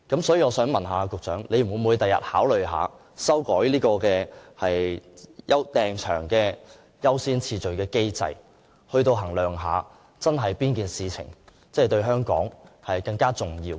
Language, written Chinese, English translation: Cantonese, 所以，請問局長將來會否考慮修改有關預訂場地優先次序的機制，衡量一下哪件事情真的對香港更為重要？, Hence may I ask whether the Secretary will consider revising the mechanism for determining the order of priority in booking venues and assess which activity is actually more important to Hong Kong?